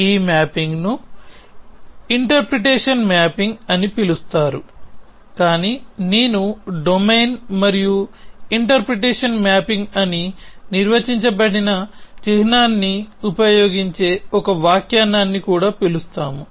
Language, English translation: Telugu, So, this mapping is called interpretation mapping, but we also call an interpretation that is use the symbol I is defined as a domain and an interpretation mapping